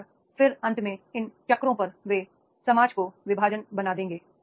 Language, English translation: Hindi, And finally on the cycles you will make the divest to the society